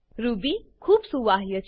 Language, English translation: Gujarati, Ruby is highly portable